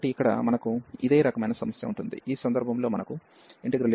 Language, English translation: Telugu, So, here we will it is a similar kind of problem, we have 1 minus e power minus x cos x over x square in this case